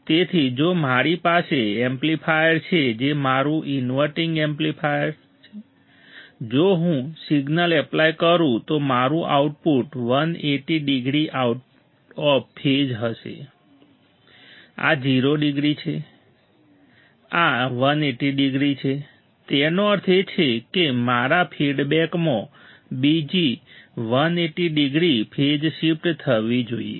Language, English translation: Gujarati, So, if I have a amplifier that is my inverting amplifier inverting amplifier, right if I apply a signal, then my output would be 180 degree out of phase, this is 0, this is 180 degree; that means, my feedback should produce another 180 degree phase shift